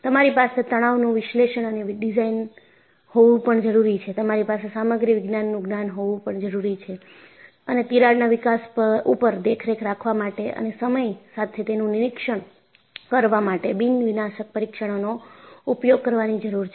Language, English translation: Gujarati, You need to have Stress Analysis and Design, you need to have knowledge of Material Science and you need to employ Non Destructive Testing to monitor the crack growth and also, for periodic inspection